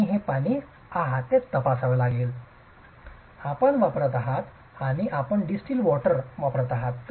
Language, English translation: Marathi, You check the water that you are going to be using and you are using distilled water